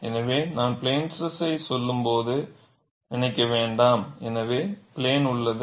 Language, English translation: Tamil, So, do not think when I say plane stress everything remains in the plane, it is not so